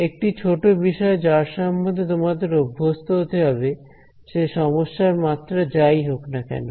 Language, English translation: Bengali, One small thing that you will have to get used to is regardless of the dimensionality of the problem